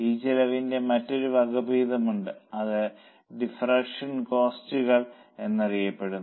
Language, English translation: Malayalam, There is another variant of this cost that is known as differential costs